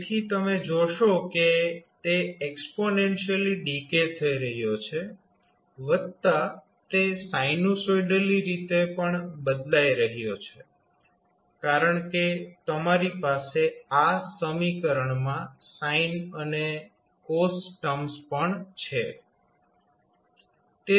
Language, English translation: Gujarati, So, you will simply see that it is exponentially decaying plus sinusoidally varying also because you have sine cos terms in the equation